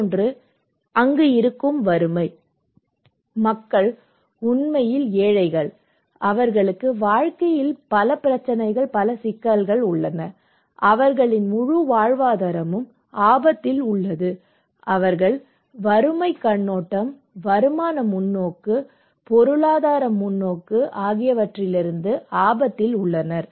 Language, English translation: Tamil, Another one is the existing poverty; people are really poor, they have so many problems in life, their entire livelihood is at risk, all households they are at risk from the poverty perspective, income perspective, economic perspective